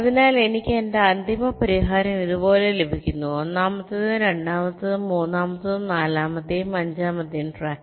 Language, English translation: Malayalam, so i get my final solution like this: first, second, third, fourth and fifth track